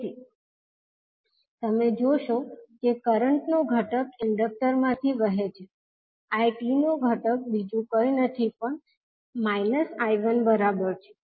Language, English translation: Gujarati, So, if you see that the component of current flowing through the inductor the component of I2 will be nothing but equal to minus of I1